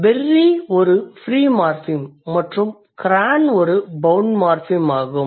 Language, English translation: Tamil, So, berry is a free morphine and cran is a bound morphem